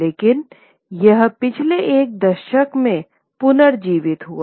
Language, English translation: Hindi, But it got revived over the last decade or so